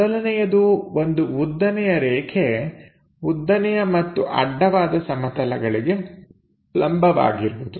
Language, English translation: Kannada, The first one; a vertical line perpendicular to both horizontal plane and vertical plane